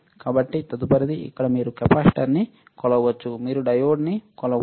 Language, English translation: Telugu, So, next one, here what is that you can measure capacitor, you can measure diode